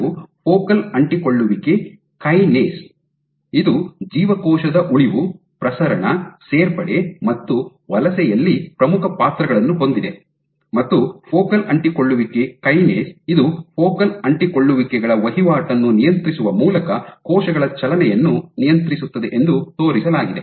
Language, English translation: Kannada, FAK is nothing but focal adhesion kinase, again it has important roles in cell survival, proliferation, addition and migration, and what focal adhesion kinase has been shown to do is it regulates cell movement by controlling the turnover of focal adhesions